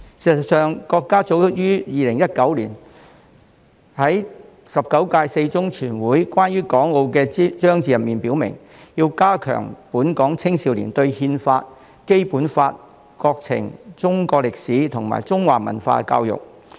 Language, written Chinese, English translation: Cantonese, 事實上，國家早於2019年在中共十九屆四中全會關於港澳的章節中已經表明，必須加強本港青少年對憲法、《基本法》、國情、中國歷史及中華文化的教育。, In fact as early as 2019 our country stated in the section on Hong Kong and Macao of the Fourth Plenary Session of the 19 Central Committee of the Communist Party of China that there was a need to better educate the young people of Hong Kong about the Constitution the Basic Law the countrys conditions history and culture